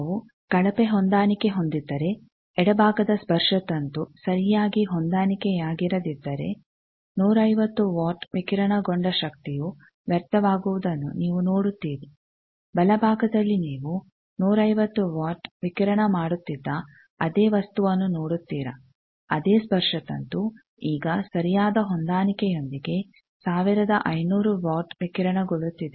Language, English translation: Kannada, You see that, if we have a poor match, suppose the left side antenna is not properly matched and you see 150 watt radiated power gets wasted, whether in the right side you see the same thing when which was radiating 150 watt the same antenna is now with proper matching is radiating 1500 watt